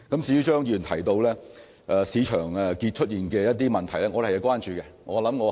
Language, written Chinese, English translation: Cantonese, 至於張議員提到市場出現的一些問題，我們是關注的。, We are concerned about the market problems highlighted by Mr CHEUNG